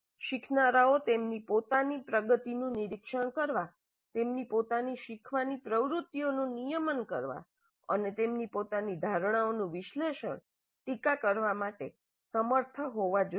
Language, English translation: Gujarati, Learners must be able to monitor their own progress, regulate their own learning activities and must be able to analyze, criticize their own assumptions